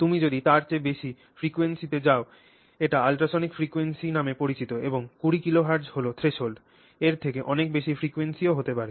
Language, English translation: Bengali, If you go to frequencies higher than that, that is called ultrasonic frequencies and 20 kilohertz is the threshold, you can go to much higher frequencies also